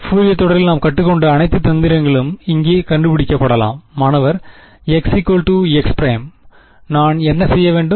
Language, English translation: Tamil, All of the tricks we learnt in Fourier series can be used over here to find out a n what should I do